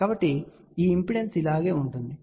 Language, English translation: Telugu, So, you can see that this impedance is same as this